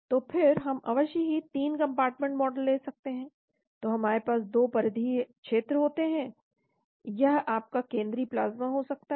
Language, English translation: Hindi, So we can again have 3 compartment model of course, so we can have 2 peripheral regions , this could be your central plasma